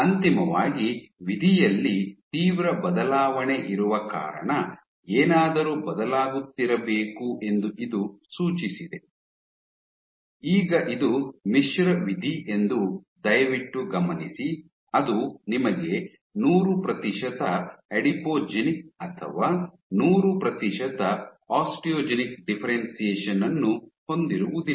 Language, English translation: Kannada, This suggested that something must have been changing because of which you have a drastic change in the eventual fate, now please note that this is a mixed fate it is not that you have 100 percent Adipogenic 100 percent or Osteogenic differentiation